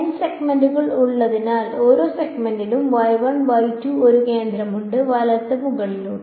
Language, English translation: Malayalam, Since there are n segments each segment has one centre y 1, y 2 all the way up to y n right